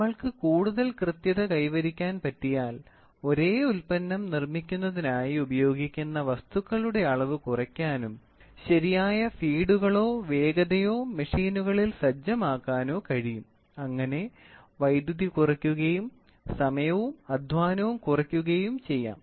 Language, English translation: Malayalam, Moment we start working on tighter tolerances, the amount of material which is consumed for making the same product can be reduced and the proper feeds or speeds can be set on machines for the power goes down and also the expenditure of time and labour also goes down